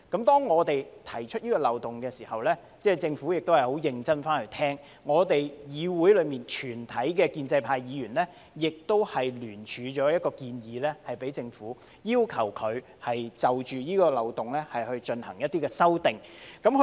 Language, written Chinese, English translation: Cantonese, 當我們指出這個漏洞時，政府認真聆聽，議會內全體建制派議員也聯署一項建議給政府，要求當局就此漏洞進行一些修正。, When we pointed out this loophole the Government listened attentively . All Members from the pro - establishment camp in this Council also submitted a jointly - signed proposal to the Government urging the authorities to make amendments to plug the loophole